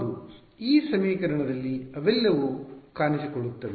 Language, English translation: Kannada, They all appear in this equation